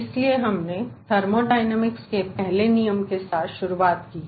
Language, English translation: Hindi, so we have started with the first law of thermodynamics